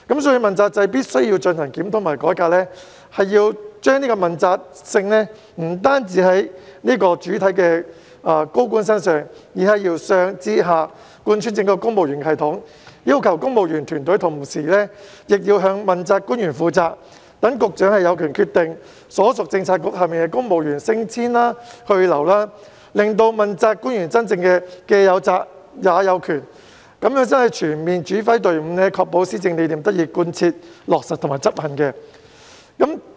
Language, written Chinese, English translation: Cantonese, 所以，問責制必須進行檢討和改革，問責性不單體現在高官身上，而是要由上至下貫穿整個公務員系統，要求公務員團隊同時向問責官員負責，讓局長有權決定所屬政策局轄下的公務員升遷去留，令到問責官員真正"既有責也有權"，這樣才可以全面指揮隊伍，確保施政理念得以貫徹落實和執行。, Accountability should be applicable to both senior officials and the entire civil service from top down . Civil servants should be required to be accountable to principal officials and Bureau Directors should have the power to determine the promotion or otherwise of the civil servants working under their respective Policy Bureaux thereby giving genuine power to the accountability officials . Only by so doing can accountability officials fully direct their teams of civil servants and ensure that the governing philosophy is put into practice and duly executed